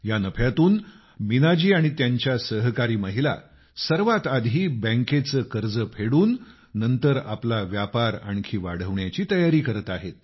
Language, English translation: Marathi, With this profit, Meena ji, and her colleagues, are arranging to repay the bank loan and then seeking avenues to expand their business